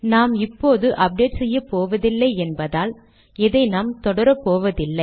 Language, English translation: Tamil, Because we are not going to do the updating now, we will not follow this